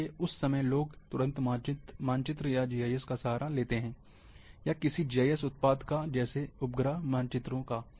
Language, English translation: Hindi, Therefore, at that time, people immediately resort to the maps, or GIS product, or satellite images